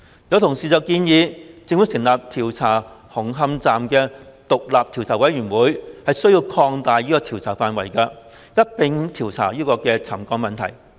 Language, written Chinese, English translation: Cantonese, 有同事建議，由政府成立以調查紅磡站事宜的獨立調查委員會需要擴大調查範圍，一併調查沉降問題。, Some Honourable colleagues have suggested that the independent Commission of Inquiry set up by the Government to inquire into the matters of Hung Hom Station should expand the scope of investigation and inquire into the settlement issue too